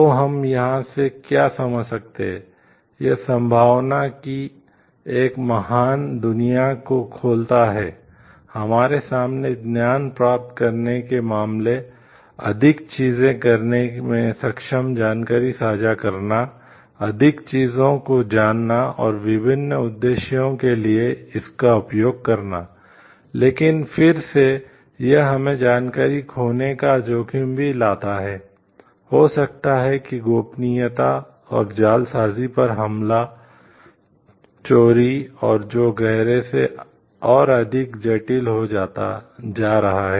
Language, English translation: Hindi, So, what we can understand from here, it opens up a great world of possibility, in front of us in terms of gaining knowledge, sharing information becoming more capable in doing more things, knowing more things and using it for different purposes, but again it brings us the risk of also losing information maybe attack on privacy and forgery thefts and which is becoming more complexity by deep